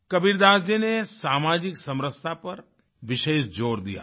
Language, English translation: Hindi, Kabir Das ji laid great emphasis on social cohesion